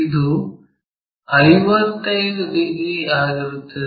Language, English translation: Kannada, And, this one is 55 degrees